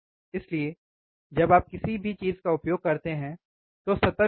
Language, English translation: Hindi, So, be cautious when you use anything, right